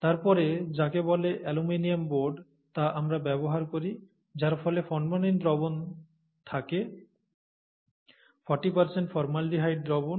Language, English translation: Bengali, And then, we use what are called aluminum boards, in which we have this formalin solution, forty percent formaldehyde solution